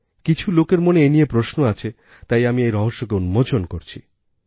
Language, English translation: Bengali, Many people have this question in their minds, so I will unravel this secret